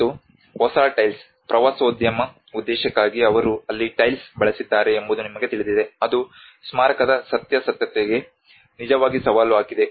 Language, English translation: Kannada, And the new tiles: Where they have raised for the tourism purpose you know that have actually raised and challenge to the authenticity of the monument